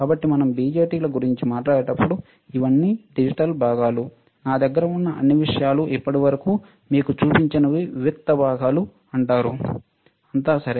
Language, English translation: Telugu, So, when we talk about BJTs these are all digital components, all the things that I have shown it to you until now are called discrete components, all right